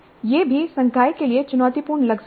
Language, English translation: Hindi, So this also may look challenging to the faculty